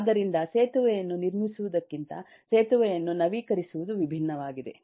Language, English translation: Kannada, so constructing a bridge is different from innovating a bridge